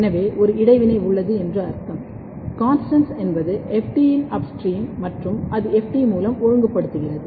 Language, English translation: Tamil, So, it means that there is an interaction, CONSTANST is upstream of FT and FT it is regulating through the FT